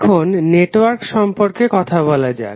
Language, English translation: Bengali, Now let us talk about the network